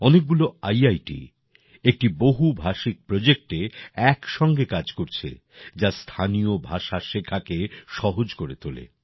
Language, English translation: Bengali, Several IITs are also working together on a multilingual project that makes learning local languages easier